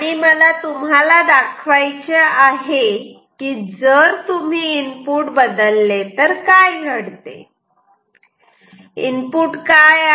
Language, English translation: Marathi, And now I want to show what happens if you change the input what is the input